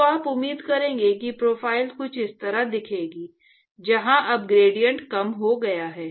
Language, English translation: Hindi, So, you would expect that the profile would look something like this, where the gradient has now decreased